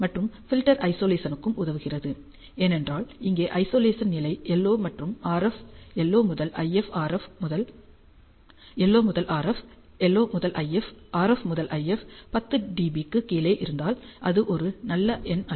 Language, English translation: Tamil, And the filter will also help in the isolation, because we see here the Isolation levels LO to RF, LO to IF, RF to IF are well below 10 d B which is not a good number